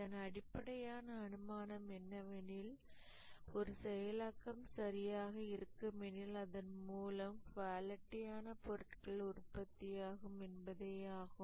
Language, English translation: Tamil, The basic assumption is that the process, if it is good, it is bound to produce quality products